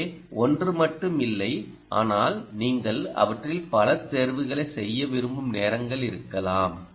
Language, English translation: Tamil, so do consider, not just by one, but may be the times may be you want to choose multiple of them